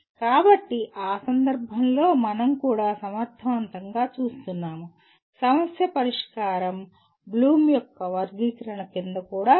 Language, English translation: Telugu, So in that case we are also effectively looking at that is problem solving is also subsumed under Bloom’s taxonomy